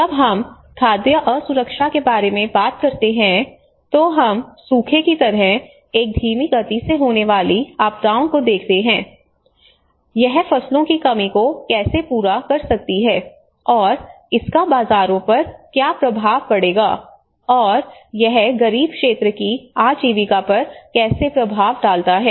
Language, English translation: Hindi, When we talk about the food insecurity, we see a slow phase disasters like the drought, you know how it can actually yield to the reduction of crops and how it will have an impact on the markets and how it turn impact on the livelihoods of the poor sector